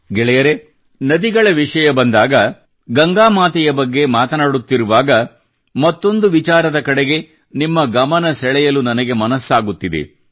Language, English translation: Kannada, when one is referring to the river; when Mother Ganga is being talked about, one is tempted to draw your attention to another aspect